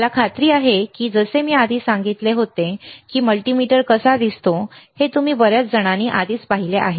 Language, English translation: Marathi, I am sure again like I said earlier that lot of people a lot of you guys have already seen how a multimeter looks like